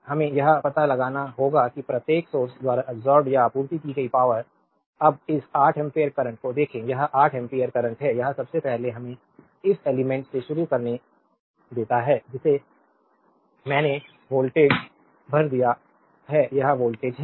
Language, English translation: Hindi, So, we have to find out that power absorbed or supplied by each of the source, now look this 8 ampere current, this is the 8 ampere current, it is first you let us start from this from your this element, which I have voltage across it is 5 volt right